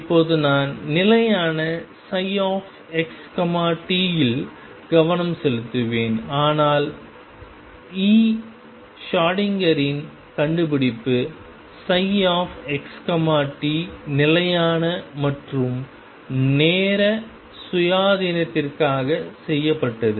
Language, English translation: Tamil, Right now I will focus on stationery psi x t, but a discovery of e Schrödinger was made for psi x t both stationery as well as time independent